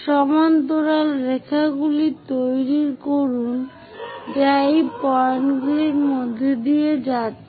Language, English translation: Bengali, Construct parallel lines which are passing through these points